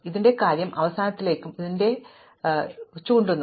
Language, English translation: Malayalam, So, this thing will point to the end of this and this thing will point to the end of this